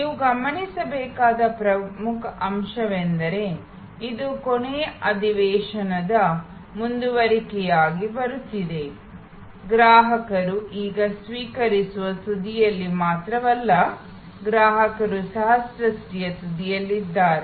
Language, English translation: Kannada, The most important point for you to notice, which is coming as a continuation from the last session is that, customer is now not only at the receiving end, customer is also at the creation end